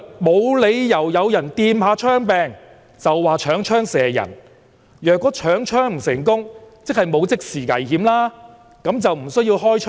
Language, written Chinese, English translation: Cantonese, "無理由有人掂下槍柄，就話搶槍射人；若搶槍不成功，即是沒有即時危險，那就更不需要開槍。, It was unreasonable for the police officer to fire just because someone touched the handle of the gun . If that person failed to snatch the gun then there was no immediate danger and hence the police officer had no reason to fire